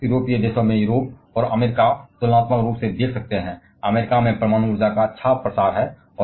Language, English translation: Hindi, You can see in Europe and US in European countries and US there is a good spread of nuclear energy